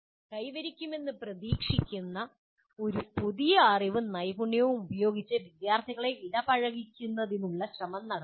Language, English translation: Malayalam, Make effort in making the students engage with the new knowledge and skills they are expected to attain